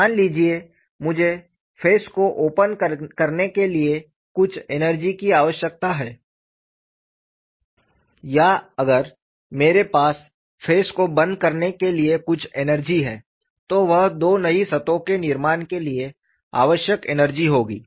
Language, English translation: Hindi, Suppose I require some energy to open the face or if I have some energy to close the face, that would be the energy required for formation of two new surfaces